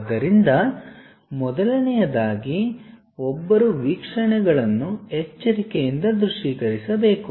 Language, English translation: Kannada, So, first of all, one has to visualize the views carefully